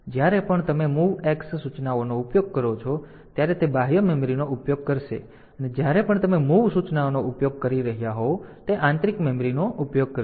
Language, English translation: Gujarati, So, if you are using MOVX then it will be using this external memory if you are using MOV it will be using this internal memory